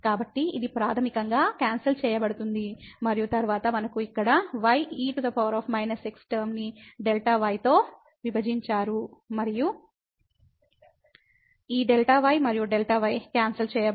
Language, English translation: Telugu, So, it basically gets cancelled and then, we have here power minus term divided by delta and this delta and delta will be cancelled